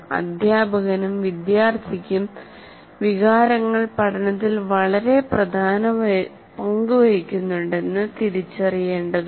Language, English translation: Malayalam, And the teacher and the students have to recognize emotions play a very dominant role in the learning